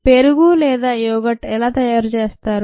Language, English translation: Telugu, how do you think curd or yoghurt is made